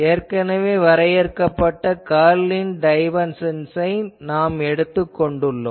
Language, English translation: Tamil, We have taken defined already the divergence of curl